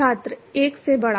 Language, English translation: Hindi, Greater than 1